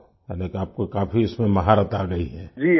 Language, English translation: Hindi, Oh… that means you have mastered it a lot